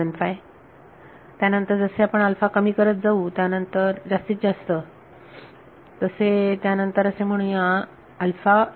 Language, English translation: Marathi, 75, then as you begin to reduce alpha even more then you will get say alpha is equal to 0